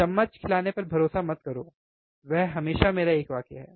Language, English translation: Hindi, Do not rely on spoon feeding, that is always my one sentence,